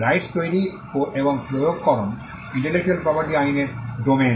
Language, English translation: Bengali, Rights creation and enforcement is the domain of intellectual property law